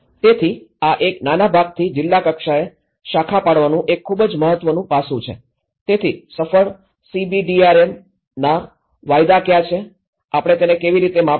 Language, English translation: Gujarati, So, this is branching out from a small segment to a district level is a very important aspect, so what are the futures of the successful CBDRM, how do we measure it